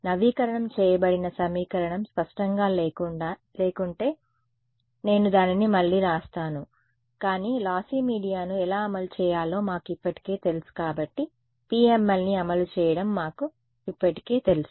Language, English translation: Telugu, I will write down the updated equation again if its not clear, but we already know how to implement lossy media therefore, we already know to implement PML